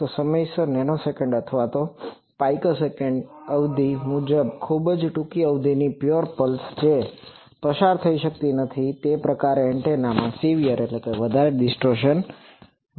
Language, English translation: Gujarati, So a pure pulse of very short duration typically of nanosecond or picosecond duration on time that cannot be passed through and that type of antenna it will have severe distortion